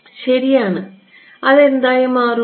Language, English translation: Malayalam, Right so, it will become what